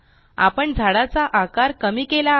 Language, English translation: Marathi, And we have reduced the size of the whole tree